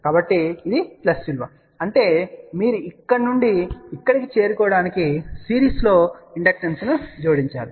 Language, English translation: Telugu, So, and this is a plus value; that means, you have to add inductance in series to reach from here to here ok